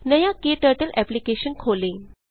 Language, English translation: Hindi, KTurtle application opens